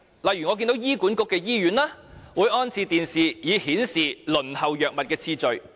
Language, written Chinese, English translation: Cantonese, 例如醫院管理局轄下的醫院均有安裝電視機，以顯示輪候藥物的次序。, For example hospitals under the Hospital Authority HA have installed TVs to show the order of patients waiting for drugs